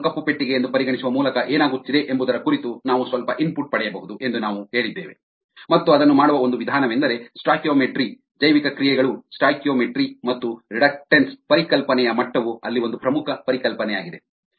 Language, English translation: Kannada, we said that we could get some input into what is happening by considering the cell as ablack box, and one of the method of doing that is by ah stoichiometry, bioreactions, stoichiometry and the degree of reluctance concept is an important concept there